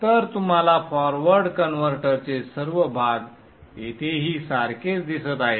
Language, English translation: Marathi, So you see all the part of the forward converter exactly same